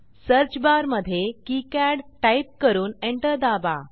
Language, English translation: Marathi, In the search bar type KiCad, and press Enter